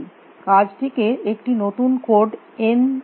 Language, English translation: Bengali, The task is given a new node n